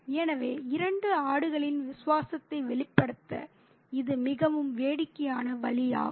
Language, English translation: Tamil, So, it's a very funny way to express the loyalty of the two goats